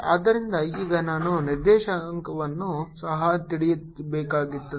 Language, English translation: Kannada, so now i have to also know the direction